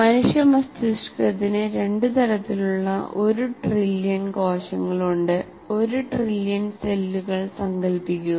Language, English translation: Malayalam, Human brain has one trillion cells of two types